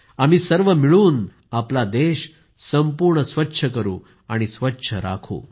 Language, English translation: Marathi, Together, we will make our country completely clean and keep it clean